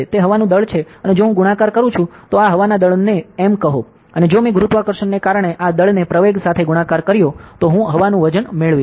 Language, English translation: Gujarati, It is the mass of air and if I multiplied with, so this is the mass air say m; and if I multiplied this mass with acceleration due to gravity, then I get the weight of air, ok